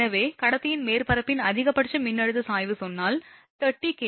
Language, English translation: Tamil, So, if the maximum voltage gradient of the surface of the conductor say, 30 kilovolt per centimetre